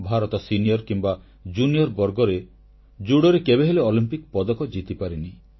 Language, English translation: Odia, Hitherto, India had never won a medal in a Judo event, at the junior or senior level